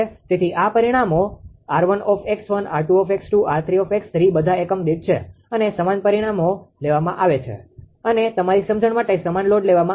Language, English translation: Gujarati, So, this parameters r 1 x 1, r 2 x 2 and r 3 x 3 this all are in per unit and same parameters are taken same loads are taken for your understanding